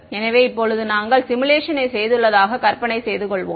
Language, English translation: Tamil, So, now, let us imagine we have done the simulation